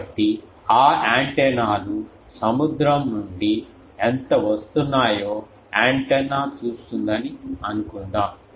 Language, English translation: Telugu, So, those antennas suppose an antenna will see how much is coming from the ocean